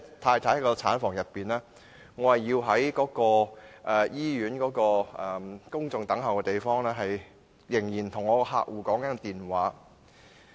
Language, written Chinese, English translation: Cantonese, 太太已在產房內，但我卻在醫院的公眾等候區，與客戶通話。, While my wife was in the delivery room I was talking on the phone with my client at the common waiting area of the hospital